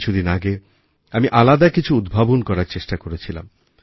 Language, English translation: Bengali, A few days ago I tried to do something different